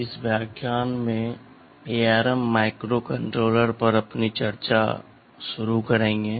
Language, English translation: Hindi, In this lecture we shall be starting our discussion on something about the ARM microcontrollers